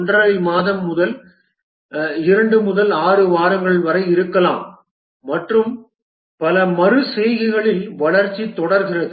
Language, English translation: Tamil, 5 month, 2 to 6 weeks and the development proceeds over many iterations